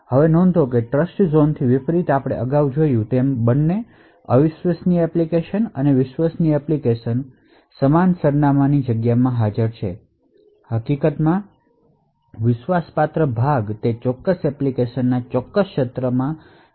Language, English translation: Gujarati, Now note that unlike the Trustzone we have seen earlier both the untrusted application and the trusted application are present in the same address space, in fact the trusted part is just mapped to a certain region within that particular application